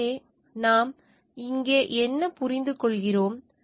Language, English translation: Tamil, So, what we understand over here